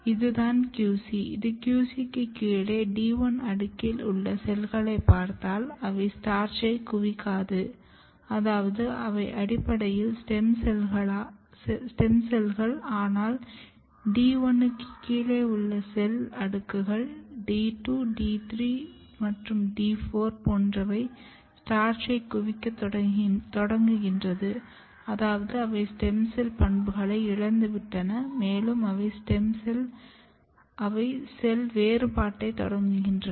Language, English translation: Tamil, But if you look this is the QC and just below the QC the cells which is in D 1 layer, they do not accumulate the starch which means that they are they are basically stem cells, but the cell layers below the D 1 like D 2, D 3, D 4, they start accumulating the starch which means that they have lost the stem cell property and they have started cell differentiation